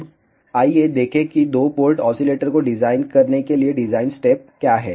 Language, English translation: Hindi, Now, let us look at what are the design steps for designing a two port oscillator